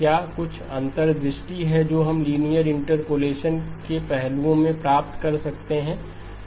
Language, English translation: Hindi, Is there some insight that we can gain into the aspects of linear interpolation